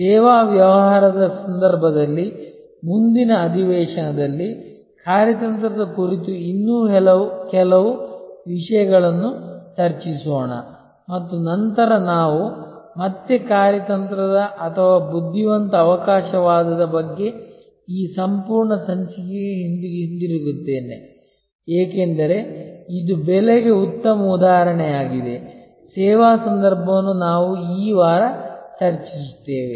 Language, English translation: Kannada, Let us discuss a few more issues about strategy in the context of the service business, in the next session and then we will again come back to this whole issue about strategic or intelligent opportunism, because this is also a very good paradigm for pricing in the service context which we will discuss this week